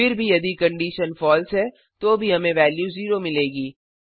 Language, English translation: Hindi, Anyhow if the condition is false then also we will get a value that is 0